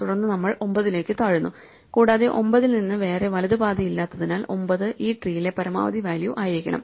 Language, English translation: Malayalam, In this case we start at 5, we go down to 7, then we go down to 9 and since there is no further right path from 9, 9 must be the maximum value in this tree